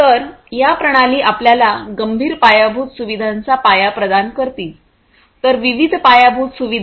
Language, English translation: Marathi, So, these systems will provide the foundation of our critical infrastructure; so, different infrastructure